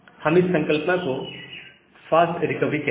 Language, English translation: Hindi, We call this concept as the fast recovery